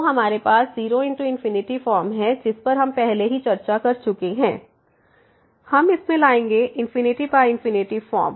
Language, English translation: Hindi, So, we have 0 into infinity form which we have already discuss before so, we will bring into this infinity by infinity form